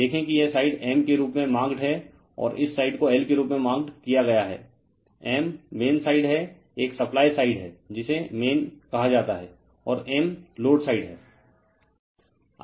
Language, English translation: Hindi, You will see that this side is marked as M and this side is marked as an L right; M is the main side there is a supply side this is called main and M is the load side